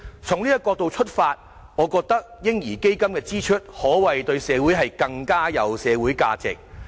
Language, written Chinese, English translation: Cantonese, 從這個角度出發，我覺得"嬰兒基金"的支出對社會可謂更有價值。, From this perspective I think it is more worthwhile to spend on a baby fund community - wise